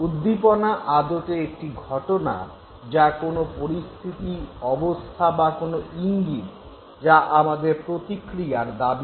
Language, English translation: Bengali, Now, stimulus is basically any event, any situation, any condition, any signal, any Q that triggers you to give a response